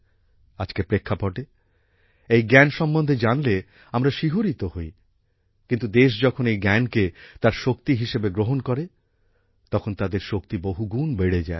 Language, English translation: Bengali, When we see this knowledge in today's context, we are thrilled, but when the nation accepts this knowledge as its strength, then their power increases manifold